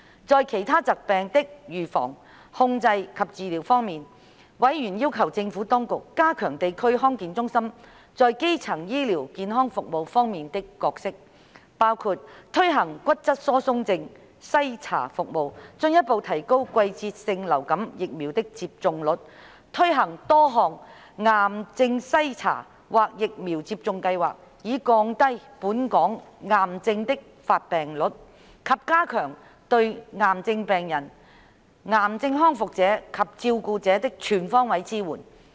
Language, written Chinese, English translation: Cantonese, 在其他疾病的預防、控制及治療方面，委員要求政府當局加強地區康健中心在基層醫療健康服務方面的角色，包括推行骨質疏鬆症篩查服務；進一步提高季節性流感疫苗的接種率；推行多項癌症篩查或疫苗接種計劃，以降低本港癌症的發病率，以及加強對癌症病人、癌症康復者及照顧者的全方位支援。, On the prevention control and treatment of other diseases members urged the Administration to strengthen the role of District Health Centres in providing primary health care by introducing osteoporosis screening services further increasing the seasonal influenza vaccination rate introducing cancer screening programmes and vaccination schemes reducing the hit rate of cancer in Hong Kong and strengthening all - rounded support to cancer patients cancer survivors and carers